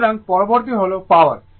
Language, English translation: Bengali, So, next is power